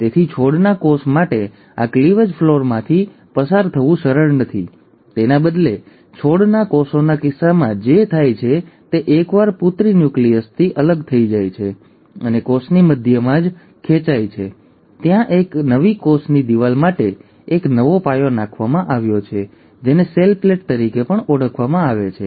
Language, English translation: Gujarati, So for a plant cell, it is not easy to undergo this cleavage furrow; instead what happens in case of plant cells is once the daughter nuclei have separated and being pulled apart right at the centre of the cell, there is a new foundation laid for a newer cell wall which is called as the cell plate